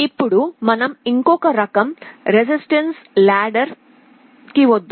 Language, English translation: Telugu, Let us now come to the other type, resistive ladder